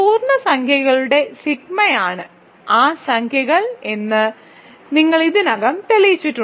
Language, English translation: Malayalam, You have already showed that sigma of integers are those integers itself sigma fixes integers